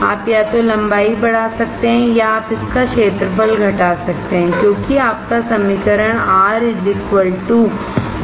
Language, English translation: Hindi, You can either increase the length or you can decrease the area because your equation is R= (ρL/A)